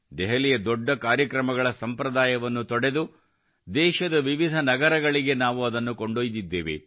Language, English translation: Kannada, Moving away from the tradition of holding big events in Delhi, we took them to different cities of the country